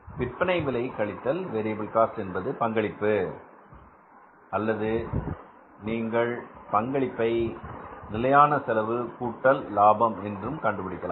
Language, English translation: Tamil, Selling price minus variable cost is called as contribution or you can calculate the contribution as fixed expenses plus profit